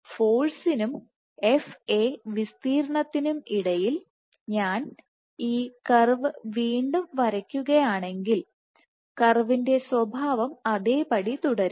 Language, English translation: Malayalam, So, if I were to draw this curve again between force and area FA area the nature of the curves remains the same